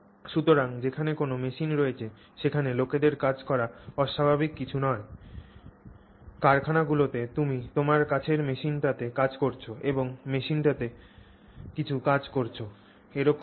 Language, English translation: Bengali, So, it was not unusual to have people working in places where there is a machine because that's how it is in factories you work with machines near you and the machine is doing some activity